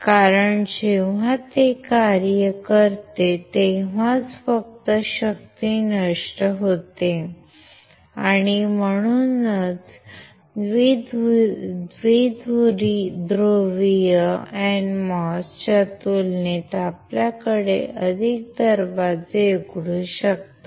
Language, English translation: Marathi, Because only when it operates then only the power is dissipated and that is why you can have more gates compared to bipolar NMOS